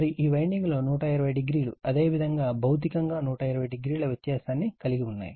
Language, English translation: Telugu, And these winding that 120 degree your physically 120 degree a apart